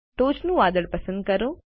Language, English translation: Gujarati, Let us select the top cloud